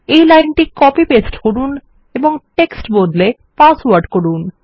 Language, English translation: Bengali, Copy paste this line and change text to password